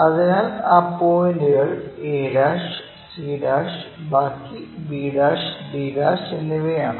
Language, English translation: Malayalam, So, those points are a', c' and the rest of them b' and d'